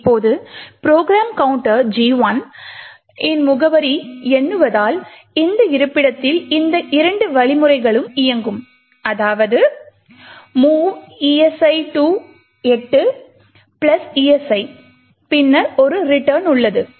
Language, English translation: Tamil, Now since the program counter is counting to the address of gadget 1 which is this location these two instructions will execute that is movl esi to 8 plus esi and then there is a return